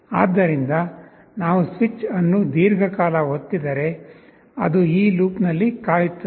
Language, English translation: Kannada, So, if we keep the switch pressed for a long time, it will wait in this loop